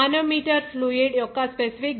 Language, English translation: Telugu, The manometer fluid is of specific gravity of 0